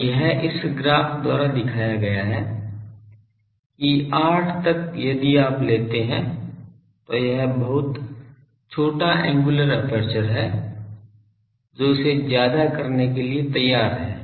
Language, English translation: Hindi, So, that is shown by this graph that up to 8 if you take then it is very ready very small angular aperture it goes to high